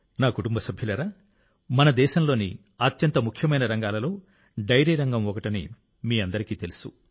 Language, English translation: Telugu, My family members, you all know that the Dairy Sector is one of the most important sectors of our country